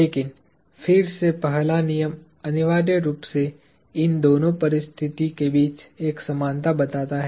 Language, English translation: Hindi, But, again the first law essentially makes an equivalence between these two states